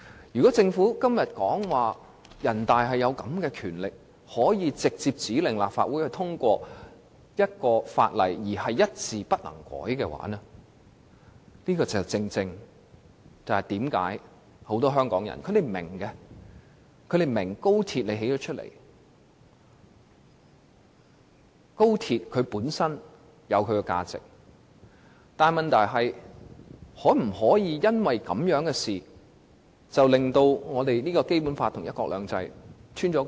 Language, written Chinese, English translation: Cantonese, 如果政府今天說人大有權直接指令立法會通過一項法例，而且一字不能修改，這正是為何很多香港人雖然明白興建高鐵本身的價值，卻質疑高鐵導致《基本法》與"一國兩制"出現漏洞的原因。, Imagine the Government said today that NPC had the power to instruct the Legislative Council to pass a piece of legislation without amending a word . That explains why many Hong Kong people understand the intrinsic value of XRL but doubt it might cause loopholes to appear in the Basic Law and one country two systems